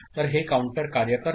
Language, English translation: Marathi, So, that is how the counter works